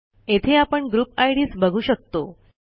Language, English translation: Marathi, Here we can see the group ids